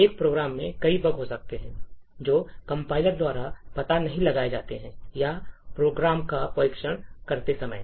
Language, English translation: Hindi, So, there could be several bugs in a program which do not get detected by the compiler or while testing the program